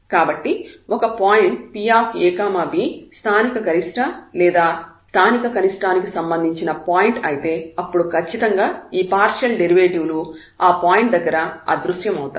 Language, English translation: Telugu, So, if a point a b is a point of local maximum or local minimum, then definitely these partial derivatives must vanish at that point